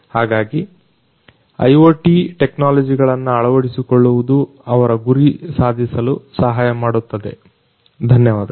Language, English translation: Kannada, So, adoption of IoT technologies will help them in order to achieve the goals, thank you